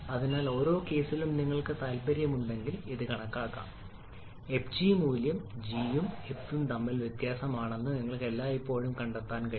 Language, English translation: Malayalam, So for each of the cases if you are interested you can calculate this you will always find that that fg value is the difference between g and f